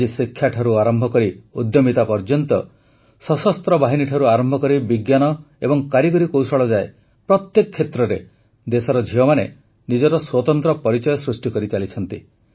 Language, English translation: Odia, Today, from education to entrepreneurship, armed forces to science and technology, the country's daughters are making a distinct mark everywhere